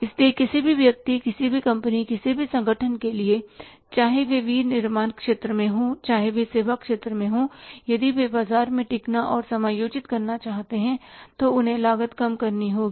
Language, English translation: Hindi, So, for any person, any company, any organization, whether they are in the manufacturing sector or whether they are in the services sector, if they want to sustain and exist in the market they will have to reduce the cost